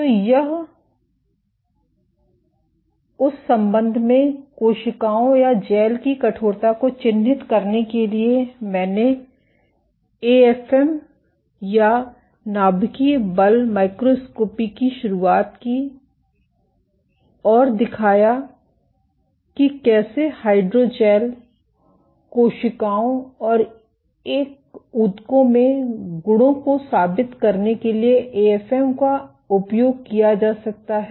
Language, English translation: Hindi, So, for characterizing the stiffness of cells or gels in that regard, I introduced AFM or atomic force microscopy and showed how AFM can be used for proving the properties of hydrogels, cells and in a tissues